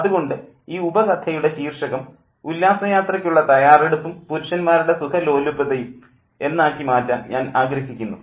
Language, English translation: Malayalam, So, I want to make the title as Picnic Preparation and Men's Comfort